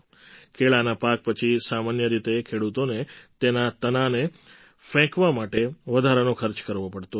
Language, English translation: Gujarati, After the harvesting of banana, the farmers usually had to spend a separate sum to dispose of its stem